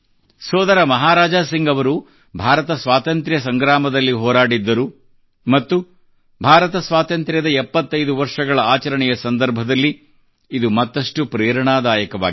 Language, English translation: Kannada, Bhai Maharaj Singh ji fought for the independence of India and this moment becomes more inspiring when we are celebrating 75 years of independence